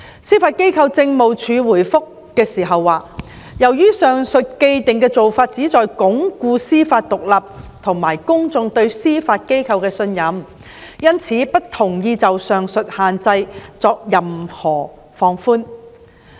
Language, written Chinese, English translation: Cantonese, 司法機構政務處回覆時表示，由於上述的既定做法旨在鞏固司法獨立和公眾對司法機構的信任，因此不同意就上述限制作任何放寬。, The Judiciary Administration has advised in response that the above prohibition seeks to uphold judicial independence and strengthen public confidence in the Judiciary thus it does not agree that there should be any relaxation of the said prohibition